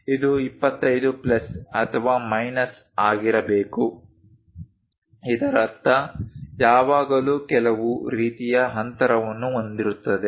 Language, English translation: Kannada, This supposed to be 25 plus or minus; that means, there always with some kind of gap